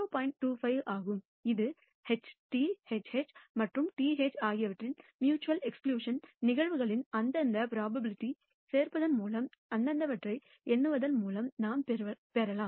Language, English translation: Tamil, 25 which is what we can derive by counting the respective adding up the respective probabilities of the mutu ally exclusive events HT, HH and TH